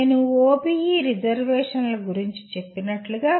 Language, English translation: Telugu, As I said reservations about OBE